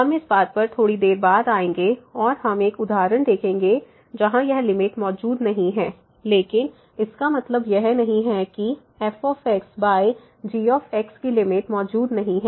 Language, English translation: Hindi, We will come to this point little later and we will see one example where this limit does not exist, but it does not mean that the limit of over does not exist